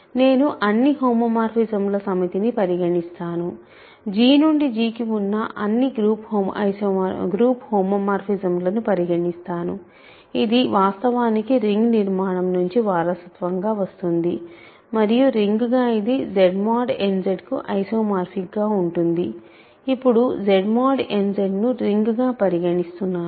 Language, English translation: Telugu, I consider the set of all homomorphisms, all group homomorphisms from G to G, that actually inherits the ring structure and as a ring it is isomorphic to Z mod n Z; now Z mod n Z is being considered as a ring ok